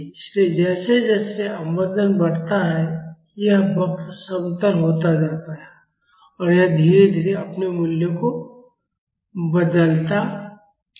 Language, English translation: Hindi, So, as the damping increases, this curve becomes flatter and it changes its values gradually